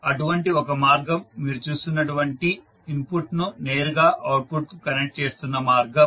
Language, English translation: Telugu, One such path is the direct path which you can see which is connecting input to output